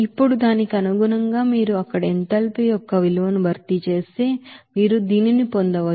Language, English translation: Telugu, Now, accordingly, if you substitute that value of enthalpy there, you can get this you know enthalpy change as here 8